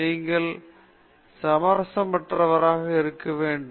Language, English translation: Tamil, You have to be uncompromising